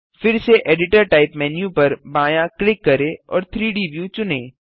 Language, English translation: Hindi, Left click on the editor type menu again and select 3D view